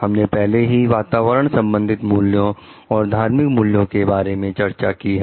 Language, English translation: Hindi, We have already discussed it in like environmental values and spirituality related to it